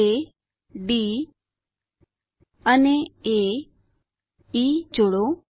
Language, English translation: Gujarati, Join points A, D and A, E